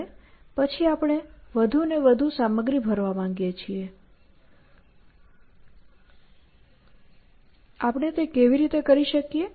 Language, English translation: Gujarati, And then we want to fill in more and more stuff; how do we fill in